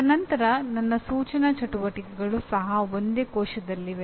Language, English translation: Kannada, And then my instructional activities also are in the same cell